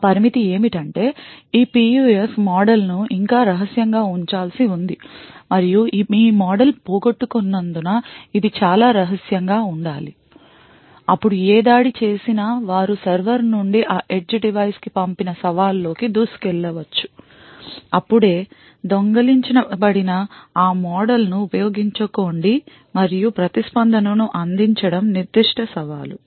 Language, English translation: Telugu, The limitation is that this PUF model still has to be kept secret and it has to be extremely secret because of this model is lost then any attacker could snoop into the challenge that is sent from the server to that edge device, use that model which it has just stolen and provide the response was that particular challenge